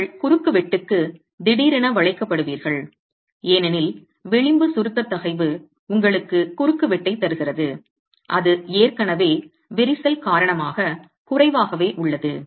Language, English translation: Tamil, You get sudden buckling of the cross section because the edge compressor stress has given away your cross section is already limited because of cracking